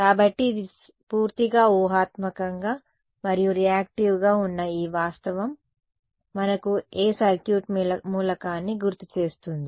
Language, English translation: Telugu, So, then this fact that it is purely imaginarily and reactive reminds us of which circuit element